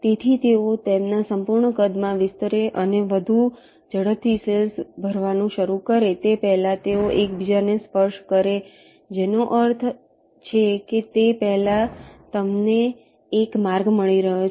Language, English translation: Gujarati, so before the expand to their full size and start filling up cells much more rapidly, they ah touch in each other, which means you are getting a path much before that